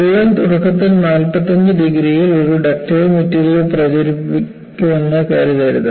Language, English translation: Malayalam, So, do not think that crack initially propagates at 45 degrees on a ductile material